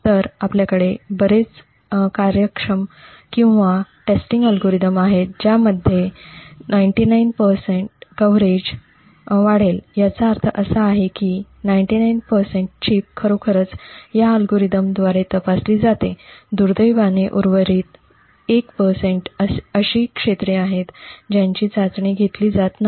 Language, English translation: Marathi, So we would have a lot of very efficient or testing algorithms which would a boost off a coverage of say 99 percent, what this means is that 99 percent of the chip is actually tested by these algorithms, unfortunately the remaining 1 percent is the areas which are not tested